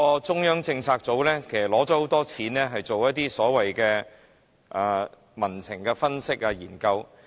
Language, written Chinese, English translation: Cantonese, 中策組獲多項撥款進行所謂民情分析和研究。, CPU receives several provisions for undertaking certain so - called analyses and studies of public sentiments